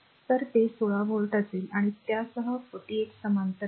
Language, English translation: Marathi, So, it will be 16 volt right and with that 48 is in parallel right